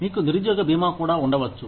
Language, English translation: Telugu, You could also have, unemployment insurance